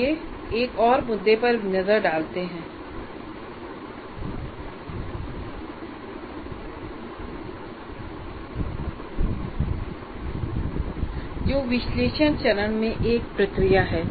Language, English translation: Hindi, Now let us look at another issue, another process in analysis phase